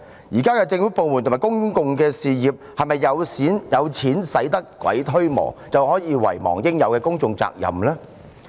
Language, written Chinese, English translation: Cantonese, 現在的政府部門和公用事業，是否以為"有錢使得鬼推磨"，於是便可以遺忘對公眾應負的責任？, Todays government departments and public utilities seem to have forgotten the duties they owe to the public . Is it because they believe that money talks?